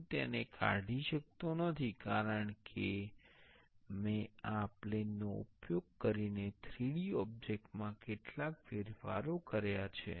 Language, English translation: Gujarati, I cannot delete it because I made some changes to the 3D object using this plane